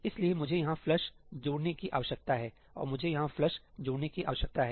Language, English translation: Hindi, So, I need to add a ëflushí here and I need to add a ëflushí here